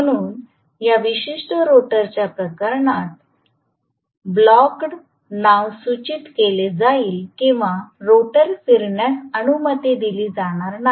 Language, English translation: Marathi, So, as the name indicates in this particular case rotor will be blocked or it will not be allowed to rotate